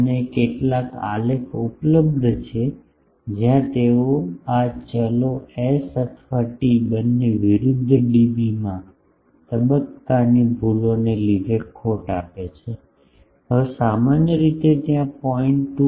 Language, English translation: Gujarati, And, some graphs are available, where they give loss due to phase errors in dB versus this variables s or t both now generally there are 0